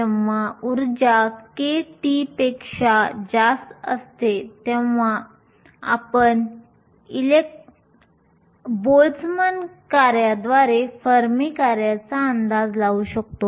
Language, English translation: Marathi, When the energy is much higher than kT, we can approximate the fermi function by a Boltzmann function